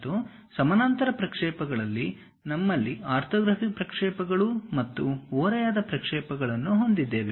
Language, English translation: Kannada, And in parallel projections, we have orthographic projections and oblique projections